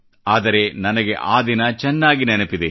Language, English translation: Kannada, But I remember that day vividly